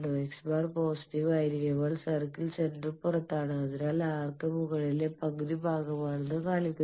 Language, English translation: Malayalam, And when X bar is positive then circle center is outside so it shows that the arc is the upper half portion